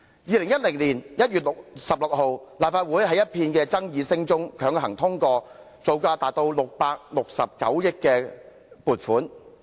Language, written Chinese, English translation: Cantonese, 2010年1月16日，立法會在一片爭議聲中強行通過撥款，以進行造價高達669億元的高鐵工程。, On 16 January 2010 the funding of as much as 66.9 billion for the XRL project was approved by the Legislative Council in the midst of controversies